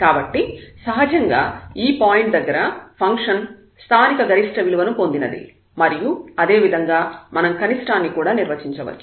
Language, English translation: Telugu, So, naturally the function has attained local maximum at this point and similarly we can define for the minimum also